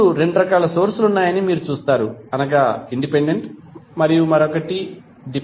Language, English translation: Telugu, Now, you will see there are two different kinds of sources is independent another is dependent